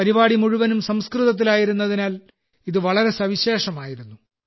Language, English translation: Malayalam, This was unique in itself, since the entire program was in Sanskrit